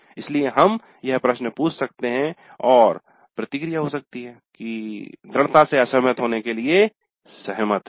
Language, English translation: Hindi, So we can ask this question and strongly agree to strongly disagree